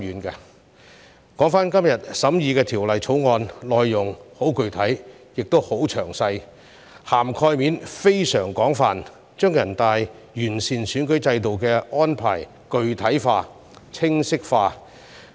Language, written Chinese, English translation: Cantonese, 說回今天審議的《條例草案》，內容十分具體和詳細，涵蓋面非常廣泛，將全國人大完善選舉制度的安排具體化和清晰化。, Turning back to the Bill under deliberation today I must say that its provisions are most specific and detailed . Its coverage is very extensive setting out in most concrete terms and with great clarity NPCs arrangements for improving the electoral system